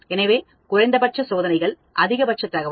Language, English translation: Tamil, So, minimum experiments maximum information